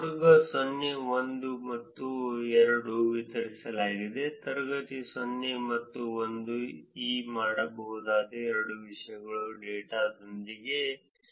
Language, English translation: Kannada, Classes distributed 0, 1 and 2; classes 0 and 1 are the only two things that can be done with this data, so it is done 51